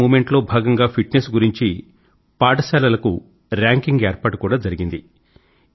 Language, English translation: Telugu, In the Fit India Movement, schedules have been drawn for ranking schools in accordance with fitness